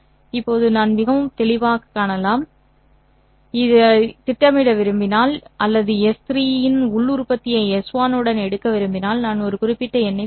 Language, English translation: Tamil, Now I can very clearly see that if I were to project or if I were to take the inner product of S3 with S1 I will get a certain number